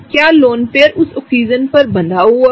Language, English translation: Hindi, Is the lone pair locked on that Oxygen